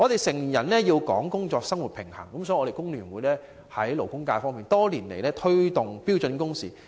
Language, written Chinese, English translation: Cantonese, 成年人講求工作和生活平衡，所以，工聯會在勞工界多年來一直推動標準工時。, Grown - ups emphasize work - life balance . This is why the Hong Kong Federation of Trade Unions has been promoting standard working hours in the labour sector over the years